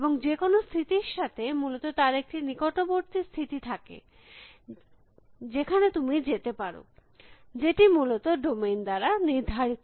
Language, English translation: Bengali, And even any state, there is the set of neighboring state that you can move to, that is define by the domain essentially